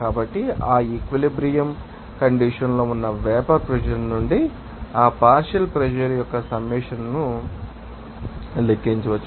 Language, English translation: Telugu, So, summation of that partial pressure can be you know calculated from the vapor pressure at that equilibrium condition